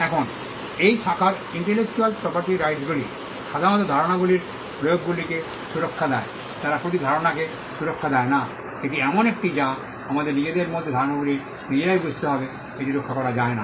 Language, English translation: Bengali, Now, this branch intellectual property rights generally protects applications of ideas, they do not protect ideas per say this is something which we need to understand ideas in themselves by themselves are cannot be protected; but applications and expressions of ideas can be protected